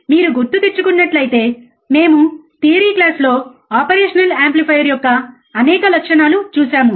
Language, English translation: Telugu, So, if you remember, in the in the theory class we have seen, several characteristics of an operational amplifier